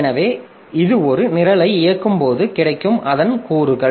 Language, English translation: Tamil, So, these are the components of a program when it is executing